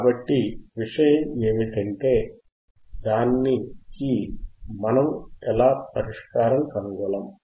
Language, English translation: Telugu, So, the point is, how can we find the solution to it